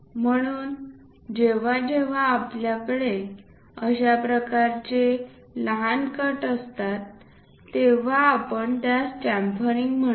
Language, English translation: Marathi, So, whenever we have that kind of small cuts, we call these are chamfering